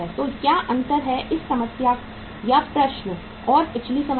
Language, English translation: Hindi, So what is the difference between this problem and the previous problem